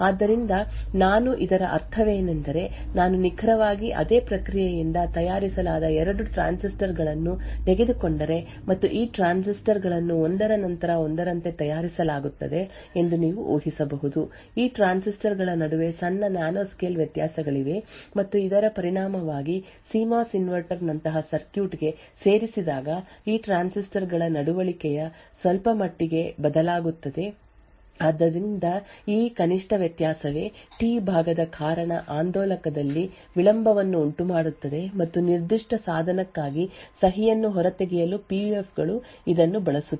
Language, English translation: Kannada, So, what I mean by this is that if I take 2 transistors which have been fabricated by exactly the same process and you could also, assume that these transistors are manufactured one after the other, still there are minor nanoscale variations between these transistors and as a result of this the behavior of these transistors when added to circuit such as CMOS inverter would vary very marginally, So, it is this marginal difference that causes delay in the oscillator due to the T part and this is what is used by PUFs to extract the signature for that particular device